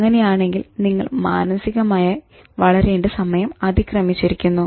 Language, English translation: Malayalam, So then you should realize that it's high time that you grow up emotionally